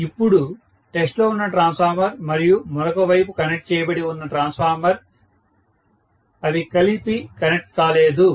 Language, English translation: Telugu, So, now after all the transformer under test and the transformer which is connected to the other side, they are not connected together